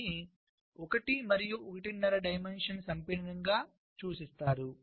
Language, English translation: Telugu, this is referred to as one and a half dimension compaction